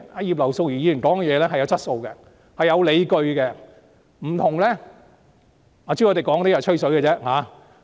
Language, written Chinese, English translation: Cantonese, 葉劉淑儀議員的發言有質素、有理據，有別於朱凱廸議員只是"吹水"的言論。, Mrs Regina IPs speech is of good quality and well - founded contrary to the bragging comments made by Mr CHU Hoi - dick